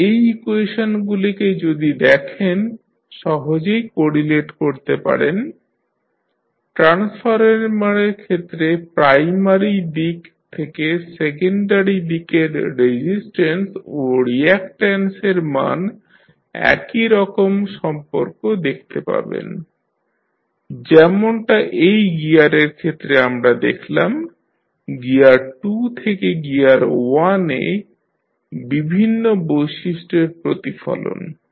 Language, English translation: Bengali, So, if you see these equations you can easily correlate, in case of transformer also when you transfer the resistance and reactance value from secondary side to primary side you will see similar kind of relationship, as we see in this case of gear, the reflection of the various properties from gear 2 to gear 1